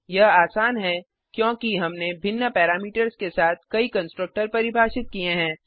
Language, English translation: Hindi, This is simply because we have define multiple constructor with different parameters